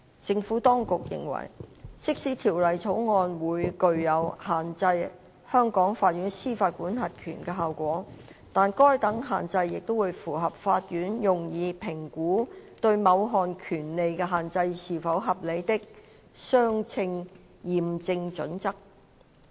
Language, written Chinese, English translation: Cantonese, 政府當局認為，即使《條例草案》會具有限制香港法院司法管轄權的效果，但該等限制也會符合法院用以評估對某項權利的限制是否合理的"相稱驗證準則"。, The Administration takes the view that even though the Bill would have the effect of restricting the jurisdiction of Hong Kong courts such restriction would satisfy the proportionality test adopted by the courts in assessing whether a restriction on a right is reasonable